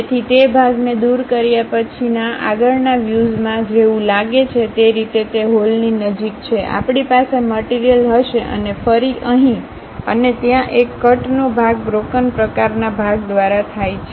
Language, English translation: Gujarati, So, in the front view after removing that part; the way how it looks like is near that hole we will be having material and again here, and there is a cut section happen through broken kind of part